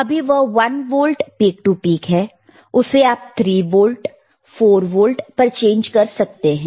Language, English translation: Hindi, iIt is one volt peak to peak, you can change it to another see 3 volts, 4 volts